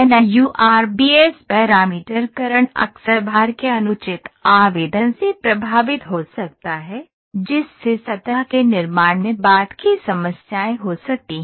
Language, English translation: Hindi, NURBS parameterization can often be affected by improper application of weightages, which can lead to subsequent problems in the surface construction